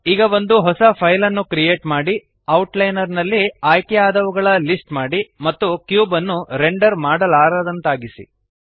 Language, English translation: Kannada, Now create a new file, list selected in the Outliner and make the cube un renderable